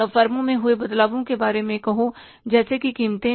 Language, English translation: Hindi, Then the changes in the firm's say prices